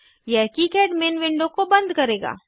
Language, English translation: Hindi, This will close the KiCad main window